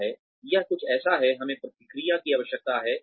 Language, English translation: Hindi, This is something, we need feedback